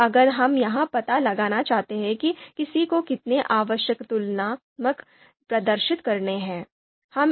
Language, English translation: Hindi, Then if we want to find out how many necessary comparisons one has to perform